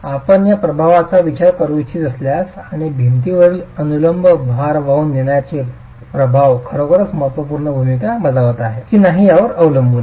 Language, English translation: Marathi, It is then, it depends on if you want to consider this effect and whether the effect are actually having a significant role to play in the vertical load carrying capacity of the wall